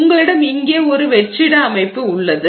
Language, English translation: Tamil, So, you have a vacuum system here